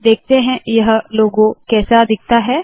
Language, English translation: Hindi, This logo, lets see what this looks like